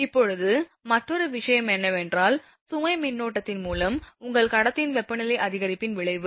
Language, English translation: Tamil, Now, another thing is that effect of rise of your what temperature rise of conductor by load current